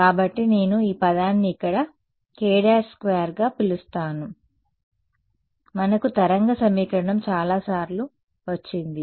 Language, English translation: Telugu, So, I am going to call this term over here as k prime squared we have derive wave equation many times